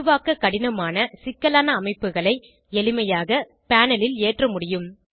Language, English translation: Tamil, Complex structures, which are difficult to create, can easily be loaded on the panel